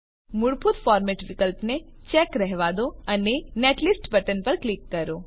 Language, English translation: Gujarati, Keep Default format option checked and click on Netlist button